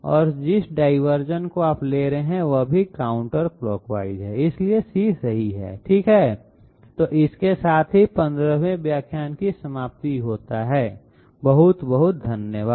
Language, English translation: Hindi, And the and the diversion that you are taking that is counterclockwise as well, so C is correct okay so this brings us to the end of the 15th lecture thank you very much